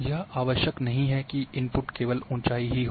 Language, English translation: Hindi, It is not necessary that only input will be elevation values